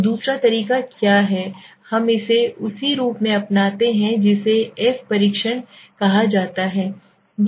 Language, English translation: Hindi, So what is the other way the other way is we adopt it as which is called the f test f test or we also called is it as